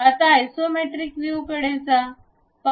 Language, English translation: Marathi, Now, let us look at isometric view